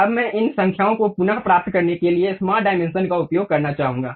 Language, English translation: Hindi, Now, I would like to use smart dimensions to realign these numbers